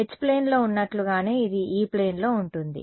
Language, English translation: Telugu, This was in the E plane what does it look like in the H plane